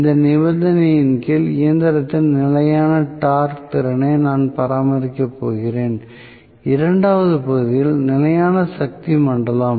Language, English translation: Tamil, So, I am going to maintain constant torque capability of the machine under this condition the second region is constant power zone